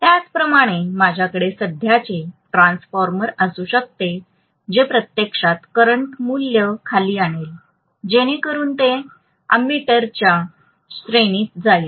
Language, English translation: Marathi, Similarly, I may have current transformer which will actually bring down the current value, so that it is falling within the ammeter range